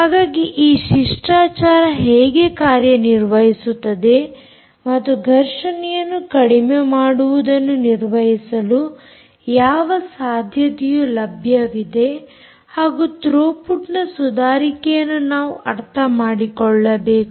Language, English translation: Kannada, so we must understand how the protocol works and what possibility exists for us to sort of have a handle on reducing the collisions and therefore improving the throughput